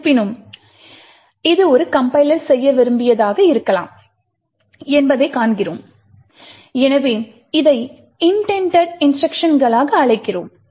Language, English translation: Tamil, However, we see that this is may be what the compiler had intended to do and therefore we call this as intended instructions